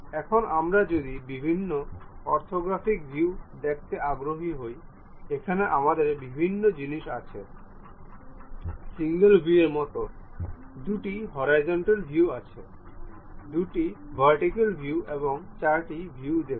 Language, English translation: Bengali, Now, if we are interested about see different orthographic orthographic views, here we have different things something like single view, two view horizontal, two view vertical, and four view